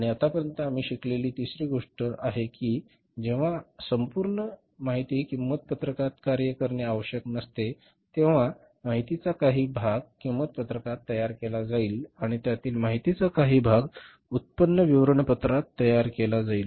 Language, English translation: Marathi, And the third thing we learned till now is that when entire information has not to be worked out in the cost sheet, part of the information will be created in the cost sheet and part of the information will be created in the income statement